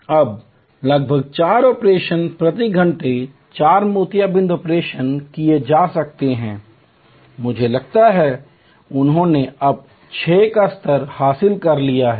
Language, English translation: Hindi, Now, about four operations, four cataract operations could be done per hour, I think they have now achieved the level of six